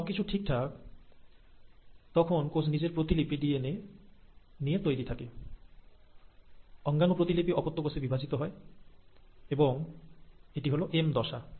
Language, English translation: Bengali, Once that is all proper, the cell is now ready with its duplicated DNA, its duplicated organelles to be divided into two daughter cells, and that is the M phase